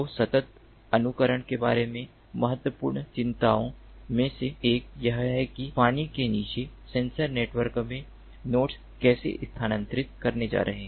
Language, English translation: Hindi, so one of the important concerns about simulation is that how the nodes in an underwater sensor network are going to move